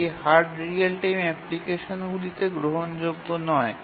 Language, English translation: Bengali, And this becomes unacceptable in hard real time applications